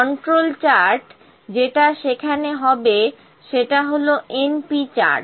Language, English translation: Bengali, So, this is an example of np chart